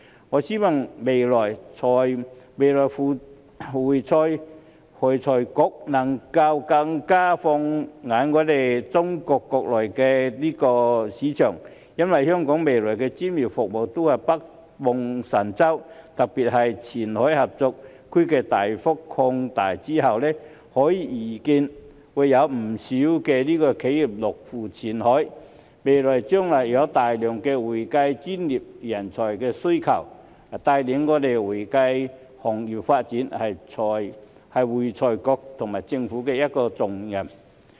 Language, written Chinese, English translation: Cantonese, 我希望未來會財局能夠更放眼中國國內的市場，因為香港未來的專業服務都是北望神州，特別是前海合作區大幅擴大之後，可以預見會有不少企業落戶前海，未來將會有大量的會計專業需求，帶領會計行業發展是會財局和政府的一個重擔。, I hope that in the future AFRC will focus more on the domestic market of China because Hong Kongs professional services will all be looking north to the Mainland . Especially after the significant expansion of the Qianhai Cooperation Zone it is expected that many enterprises will set up offices in Qianhai and there will be a large demand for professional accounting services in the future . It will be a heavy responsibility for ARFC and the Government to lead the development of the accounting profession